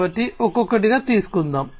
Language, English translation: Telugu, So, let us take up one by one